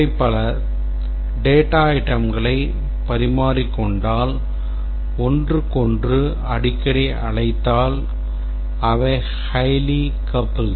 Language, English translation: Tamil, If they exchange too many data items call each other frequently exchanging data items and so on, then they are highly coupled